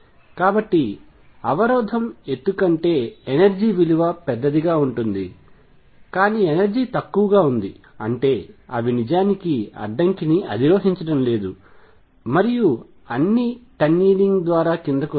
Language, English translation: Telugu, So, the energy would be larger than the barrier height, but the energy is lower; that means, they are not actually climbing the barrier and coming down there all tunneling through